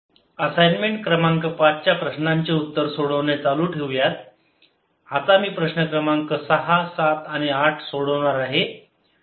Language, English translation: Marathi, continuing with solution of assignment number five, i am now going to solve problem number six, seven and eighth